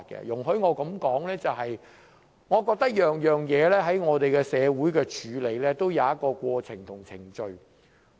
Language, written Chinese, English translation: Cantonese, 容許我提出一點，就是我認為我們的社會在處理各種事宜時均有一套過程和程序。, Let me raise a point . In my view a set of processes and procedures is in place in our society for addressing various issues